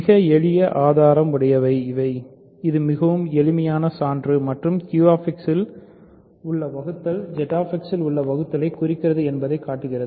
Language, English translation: Tamil, So, very simple proof right; so, this is a very simple proof and it shows that division in Q X implies division in Z X